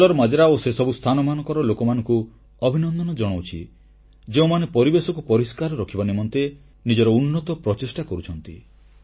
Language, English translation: Odia, Congratulations to the people of KallarMajra and of all those places who are making their best efforts to keep the environment clean and pollution free